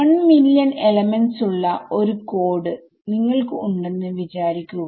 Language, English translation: Malayalam, Imagine you have a code where there are 1 million elements